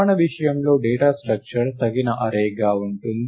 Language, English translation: Telugu, In our case it will be that the data structure will be an appropriate array